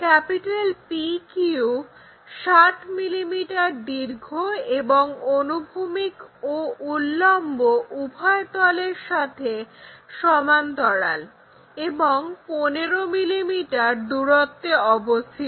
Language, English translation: Bengali, PQ is 60 millimeter long and is parallel to and 15 mm from both horizontal plane and vertical plane